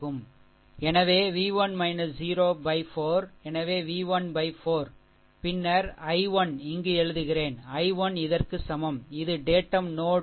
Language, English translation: Tamil, And then your i 1 so, i 1 I am writing here that i 1 is equal to this is datum node reference 0